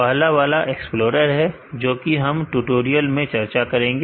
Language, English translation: Hindi, The first one is the explorer which we will be discussing in this tutorial